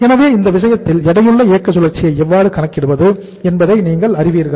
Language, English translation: Tamil, So in this case you will be knowing that how to calculate the weighted operating cycle